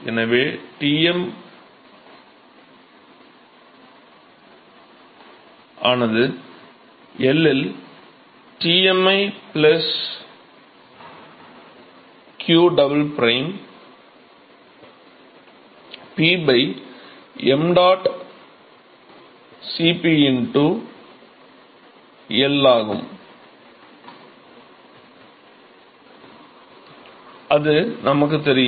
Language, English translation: Tamil, So, Tm at L is given by Tmi plus qdouble prime P divided by mdot Cp into L right, we know this